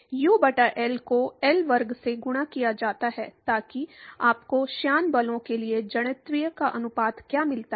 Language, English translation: Hindi, U over L multiplied by L square so that, what gives you the ratio of inertial to the viscous forces